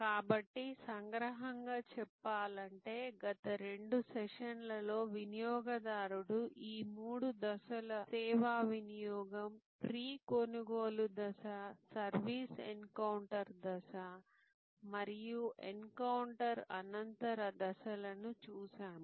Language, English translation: Telugu, So, in summary in the last two sessions, we have looked at these three stages of service consumption by the consumer, pre purchase stage, service encounter stage and post encounter stage